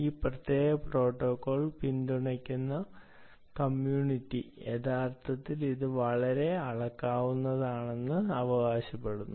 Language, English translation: Malayalam, community, which supports this particular protocol and support loves this protocol, actually claim that it is a very scalable